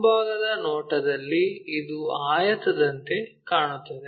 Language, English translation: Kannada, In the front view it looks like a rectangle